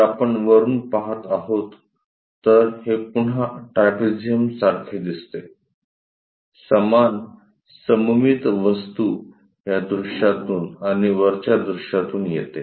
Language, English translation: Marathi, If we are looking from top, again it looks like trapezium; the same symmetric object comes from this view and also from top view